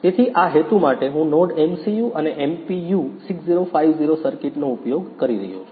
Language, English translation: Gujarati, So, for this purpose I am using the NodeMCU and node MPU 6050 circuit